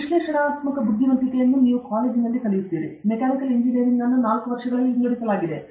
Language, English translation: Kannada, Analytical intelligence is what you learn in college; Mechanical Engineering divided into 4 years